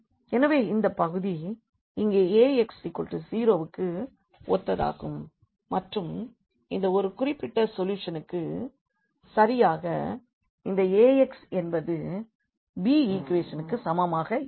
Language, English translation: Tamil, So, this part here is corresponding to Ax is equal to 0 and this is one particular solution which exactly satisfies this Ax is equal to b equation